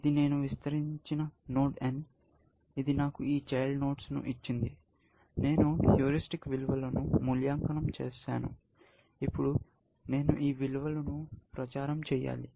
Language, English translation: Telugu, This was my node n; I expanded this; I got these children; I evaluated the heuristic values, and now, I have to propagate this value up